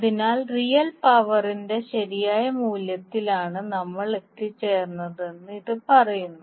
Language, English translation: Malayalam, So this says that we have arrived at the correct value of real power